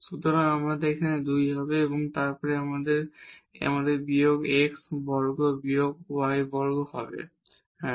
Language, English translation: Bengali, So, here we will have 2, then here we will have minus x square minus y square yeah